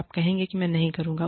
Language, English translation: Hindi, You will say, i will not do it